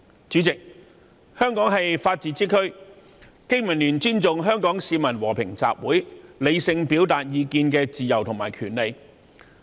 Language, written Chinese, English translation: Cantonese, 主席，香港是法治之區，經民聯尊重香港市民和平集會、理性表達意見的自由及權利。, President Hong Kong is governed by the rule of law . BPA respects the fact that Hong Kong people have the freedoms and rights to assemble peacefully and express their views rationally